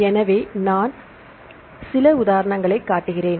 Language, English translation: Tamil, So, I show some an example